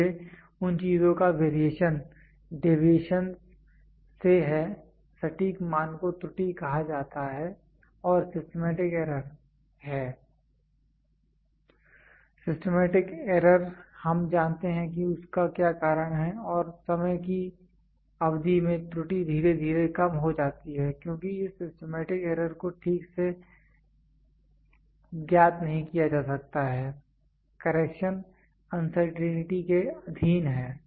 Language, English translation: Hindi, So, those things variation is from the deviations exact value is called be error and the systematic error is; systematic error is we know what is the reason and the error gradually decreases over a period of time as this systematic error cannot be known exactly so, correction is subjected to uncertainty